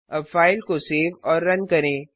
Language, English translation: Hindi, Now save and run the file